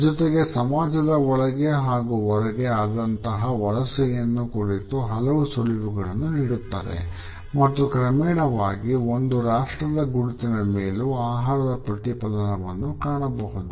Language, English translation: Kannada, At the same time it gives us clues about the migration within and across societies and gradually we find that food becomes a reflection of our national identities also